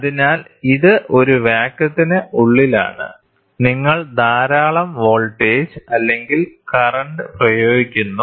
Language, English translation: Malayalam, So, this is inside a vacuum and you apply lot of voltage, right voltage or current